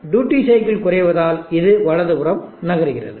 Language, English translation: Tamil, Movement duty cycle is decreasing this moving to the right